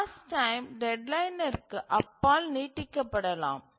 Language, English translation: Tamil, So, the task time may extend beyond the deadline